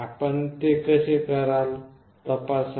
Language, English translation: Marathi, How will you check that